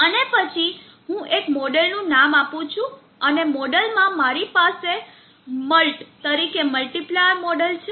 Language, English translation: Gujarati, And then I am giving a model name and in the model I have the multiplier model which will come in